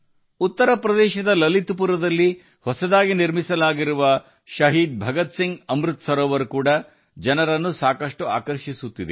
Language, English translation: Kannada, The newly constructed Shaheed Bhagat Singh Amrit Sarovar in Lalitpur, Uttar Pradesh is also drawing a lot of people